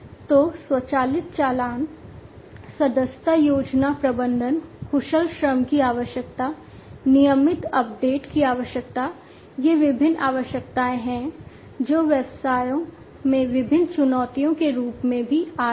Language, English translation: Hindi, So, automatic invoicing, subscription plan management, requirement of skilled labor, requirement of regular updates; these are different requirements, which are also posing as different challenges to the businesses